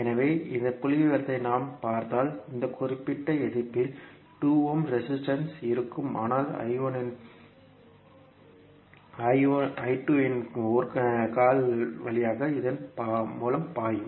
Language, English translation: Tamil, So, if you see this figure I 1 will be flowing in this particular resistance that is 2 ohm resistance but one leg of I 2 will also be flowing through this